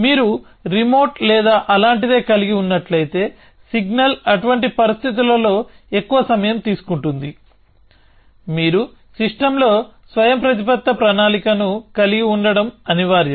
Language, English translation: Telugu, If you had a remote or something like that because the signal takes that much more time in such situations, it is inevitable that you have autonomous planning built into the system